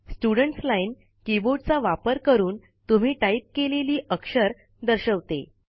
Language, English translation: Marathi, The Students Line displays the characters that are typed by you using the keyboard